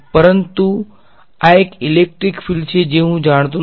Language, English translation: Gujarati, But this one the electric field I do not know